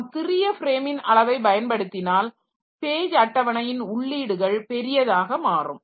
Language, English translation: Tamil, But if we go for small frame size then the page table number of entries in the page table so that will also be large